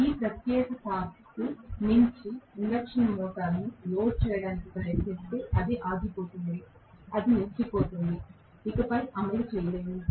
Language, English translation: Telugu, That is break down torque if you try to load the induction motor beyond this particular torque it will stop, it will stall, it will not be able to run any more